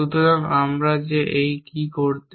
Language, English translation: Bengali, So, what we that do in this